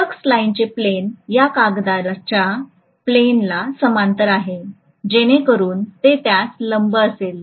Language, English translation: Marathi, The plane of the flux line is parallel to the plane of this paper, so it will be perpendicular to that